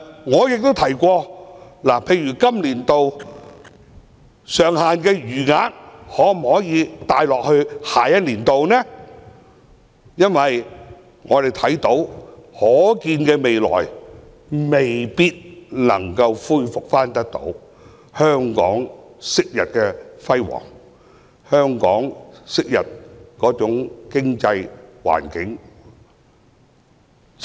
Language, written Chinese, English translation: Cantonese, 我亦提出把今年度上限的餘額帶到下年度，因為在可見的未來，香港未必能夠恢復昔日的輝煌或經濟環境。, I have also proposed that the balance of this years ceiling be brought forward to the next year because I think Hong Kong might not be able to regain its previous glory or economic environment in the foreseeable future